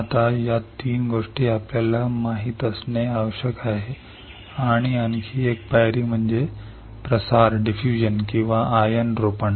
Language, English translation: Marathi, Now, these three things we need to know and one more step is diffusion or ion implantation